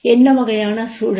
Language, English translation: Tamil, What sort of environment